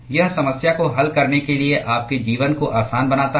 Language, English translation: Hindi, It just makes your life easy to solve the problem